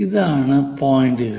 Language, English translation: Malayalam, These are the points